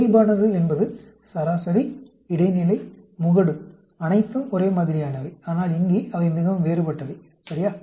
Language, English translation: Tamil, Normal is mean, median, mode, are all the same, but here, they are very different, ok